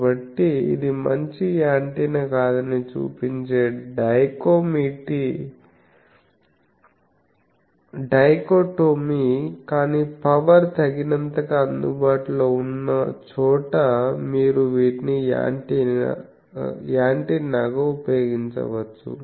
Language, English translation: Telugu, So, this is a dichotomy that shows that it is not a good antenna, but where power is sufficiently available you can use these as an antenna